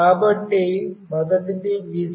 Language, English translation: Telugu, So, first one is Vcc